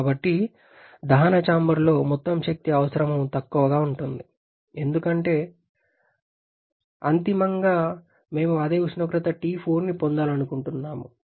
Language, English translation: Telugu, So, the total energy requirement in the combustion chamber will be lower because ultimately, we want to gain the same temperature T4